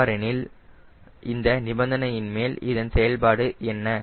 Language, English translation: Tamil, then what is its implication on this condition